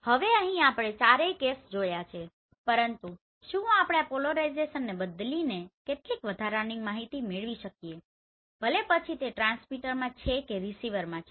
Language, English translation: Gujarati, Now here we have seen all the four cases, but can we get some additional information by changing this polarization whether in transmitter or in receiver yes